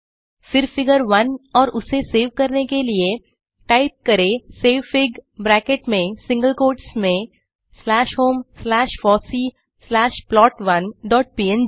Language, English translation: Hindi, Then figure 1 and then for saving it we can type savefig within brackets in single quotes slash home slash fossee slash plot1 dot png